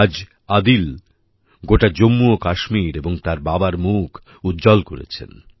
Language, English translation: Bengali, Today Adil has brought pride to his father and the entire JammuKashmir